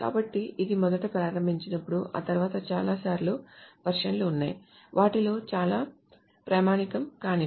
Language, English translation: Telugu, So when it was first intercepted after that there has been many many versions many versions, many of them are non standard